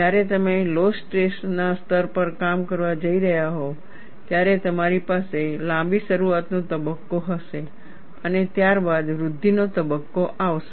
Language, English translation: Gujarati, When you are going to operate at lower stress levels, you will have a longer initiation phase, followed by growth phase